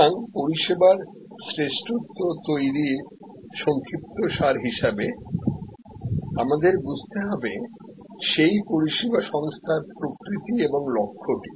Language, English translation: Bengali, So, to summarize to create service excellence we have to understand the nature and objective of that service organization